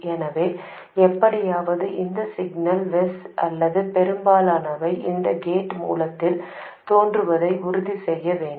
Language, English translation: Tamil, So, somehow we have to make sure that the signal VS or most of it appears across gate source